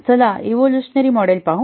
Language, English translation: Marathi, Let's look at the evolutionary model